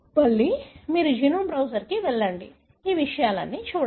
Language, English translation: Telugu, Again you go to genome browser, look at all these things